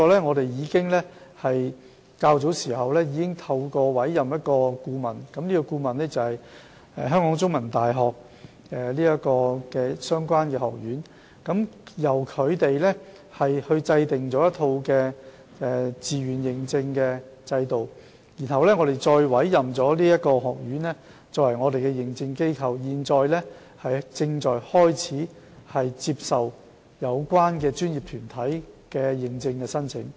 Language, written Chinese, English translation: Cantonese, 我們在較早時已透過委任顧問，即香港中文大學的相關學院，由它制訂一套自願認證的制度，然後委任該學院作為認證機構，並正在處理有關專業團體的認證申請。, Yet we have already engaged a consultant that is the relevant school of CUHK to develop a voluntary registration scheme and appointed it as the Accreditation Agent as well . The Accreditation Agent is now processing the applications for certification submitted by relevant professional bodies